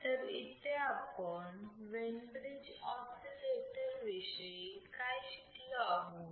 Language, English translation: Marathi, So, what will learnt about the Wein bridge oscillator